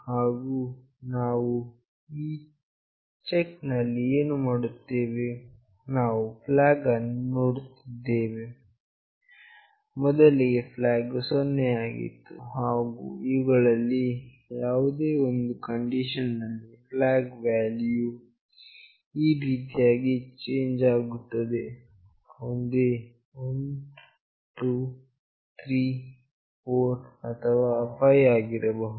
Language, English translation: Kannada, And what we are doing in this check, we are seeing flag , and then in any one of these conditions the flag value will change to either 1, 2, 3, 4 or 5